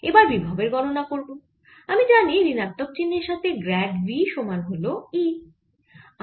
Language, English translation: Bengali, now to calculate the potential, i know grad of v with the minus sign is equal to e